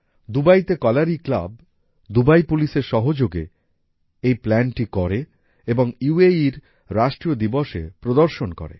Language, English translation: Bengali, Kalari club Dubai, together with Dubai Police, planned this and displayed it on the National Day of UAE